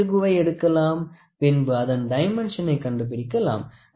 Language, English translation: Tamil, So, this screw we wanted to find out the dimension of a screw, ok